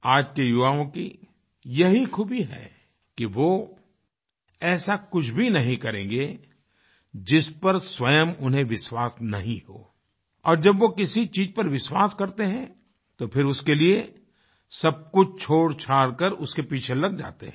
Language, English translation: Hindi, Today's youths have this special quality that they won't do anything which they do not believe themselves and whenever they believe in something, they follow that leaving everything else